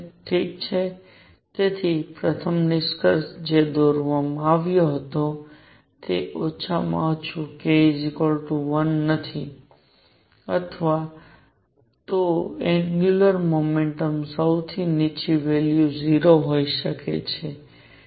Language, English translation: Gujarati, All right, so, first conclusion that was drawn is k minimum is not equal to 1, rather angular momentum lowest value can be 0